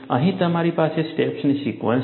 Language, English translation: Gujarati, Here, you have a sequence of steps